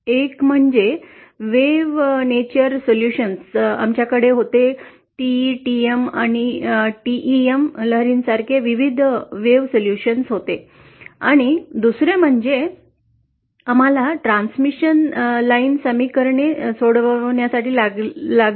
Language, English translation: Marathi, One was the wave nature for which we had the solutions, various wave solutions like like the TE, TM and TEM waves and the other is the distributed effects for which we had to solve the transmission line equations